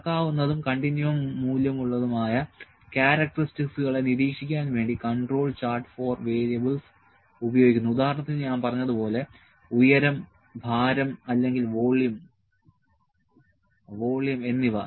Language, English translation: Malayalam, The control chart for variables is used to monitor characteristics that can be measured and have a continuum value like I said height, weight or volume